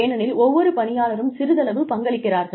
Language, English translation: Tamil, Because, every employee is contributing, a little bit